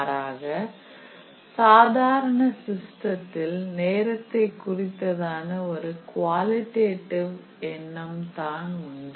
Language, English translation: Tamil, In contrast in a traditional system we have the notion of a qualitative notion of time